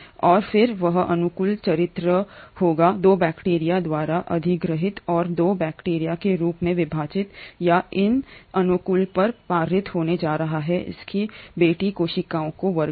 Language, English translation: Hindi, And that favourable character will then be acquired by the bacteria 2 and as the bacteria 2 divides; it is going to pass on these favourable characters to its daughter cells